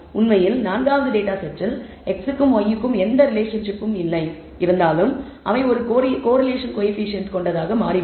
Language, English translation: Tamil, In fact, the fourth data set has no relationship between x and y and it turns out to be they have the same correlation coefficient